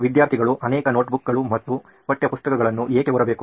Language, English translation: Kannada, Why do students use several notebooks and textbooks at school